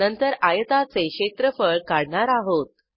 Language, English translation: Marathi, Then we calculate the area of the rectangle